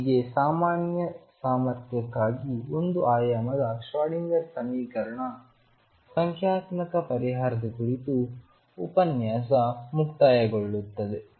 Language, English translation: Kannada, That concludes the lecture on numerical solution of Schrodinger equation in one dimension for a general potential